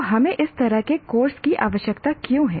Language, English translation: Hindi, So why do we require a course like this